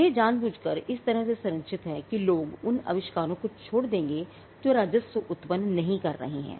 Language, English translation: Hindi, Now, this is deliberately structured in such a way that people would abandon inventions that are not generating revenue